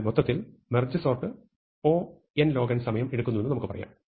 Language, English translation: Malayalam, So, we can say that over all merge sort takes time O n log n